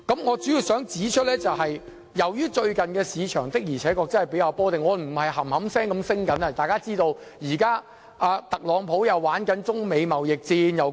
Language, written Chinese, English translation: Cantonese, 我主要想指出，最近的市場確實較為波動，不是一直上升，特朗普又展開中美貿易戰。, Basically I want to point out that the market has been quite unstable recently it is not rising continually all along . Donald TRUMP has meanwhile launched the Sino - US trade war